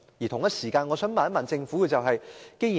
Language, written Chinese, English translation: Cantonese, 同時，我想問政府一個問題。, At the same time I want to ask the Government a question